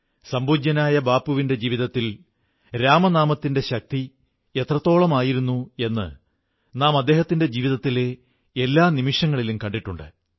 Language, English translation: Malayalam, We have seen how closely the power of 'Ram Naam', the chant of Lord Ram's name, permeated every moment of revered Bapu's life